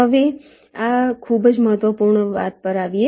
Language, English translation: Gujarati, ok, now let us come to this very important thing